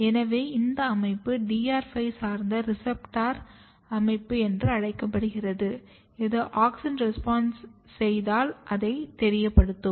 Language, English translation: Tamil, So, this basically system this is called DR5 based reporter system it basically reports auxin responses